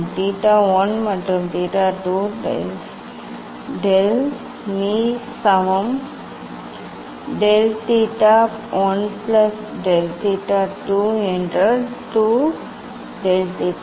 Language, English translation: Tamil, difference of theta 1 and theta 2 del of del m equal to del theta 1 plus del theta 2 means 2 del theta